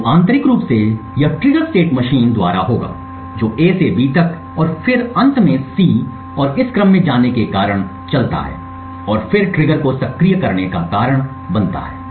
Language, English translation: Hindi, So internally this trigger will occur by the state machine which moves due to A then to B and then finally to C and moving to in this sequence would then cost the trigger to be activated